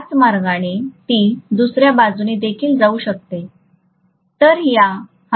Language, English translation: Marathi, The same way, it can also go on the other side, right